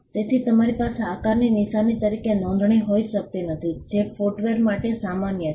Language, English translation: Gujarati, So, you cannot have a registration of a shape as a mark which is essentially to which is common for footwear